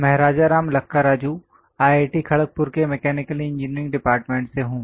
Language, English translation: Hindi, I am Rajaram Lakkaraju from Department of Mechanical Engineering, IIT Kharagpur